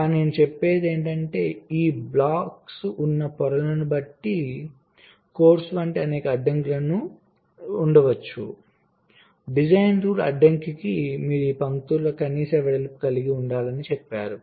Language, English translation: Telugu, but what i am saying is that, depending on the layers in which this blocks are, there can be several constraints, like, of course, design rule constraint says that you have to have some minimum width of this lines